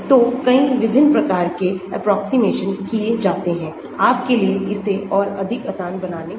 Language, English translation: Hindi, So, so many different types of approximations are done to make it more easier for you